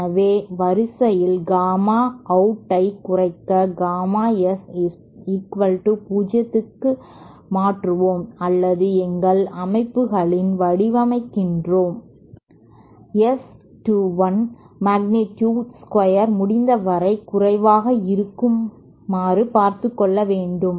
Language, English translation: Tamil, So in order to reduce gamma out we see that either we make gamma s equal to 0 or we design our systems such that the S [ga] 2 1 magnitude square is as low as possible